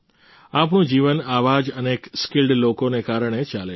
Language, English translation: Gujarati, Our life goes on because of many such skilled people